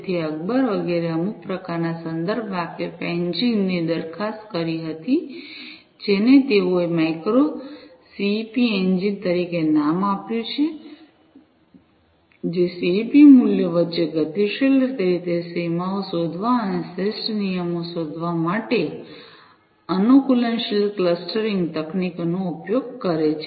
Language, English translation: Gujarati, So, Akbar et al they proposed some kind of context aware engine which they have named as the micro CEP engine, which uses adaptive clustering techniques to dynamically detect the boundaries, between the CEP values and find optimal rules